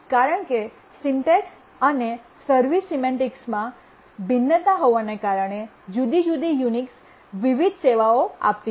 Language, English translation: Gujarati, Because the syntax and the service semantics differed, the different Unix version offered different services